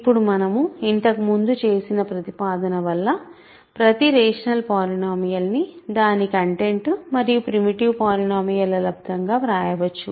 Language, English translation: Telugu, Now, because of the proposition that we did earlier, every rational polynomial can be written as its content times, content times a primitive polynomial